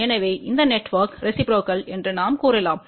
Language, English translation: Tamil, So, we can say that this network is reciprocal